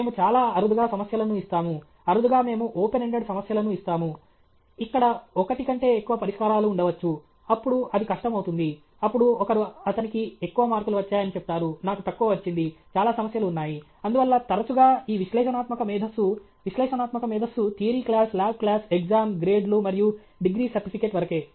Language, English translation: Telugu, We now rarely we give problems in which… rarely we give problems which are open ended, where there can be more than one solution; then it becomes difficult, then somebody will say he got more marks, I got less, there are lots of problems okay; therefore, often this analytical intelligence, analytic intelligence, is theory class, lab class, exam, grades, and degree certificate okay